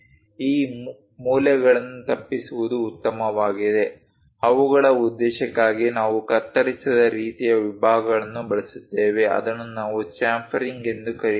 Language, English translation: Kannada, These corners preferably better to avoid them so, for their purpose, either we use cut kind of sections that is what we call chamfering